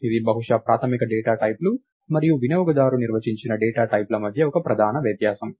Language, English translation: Telugu, So, this is probably one major difference between basic data types and user defined data types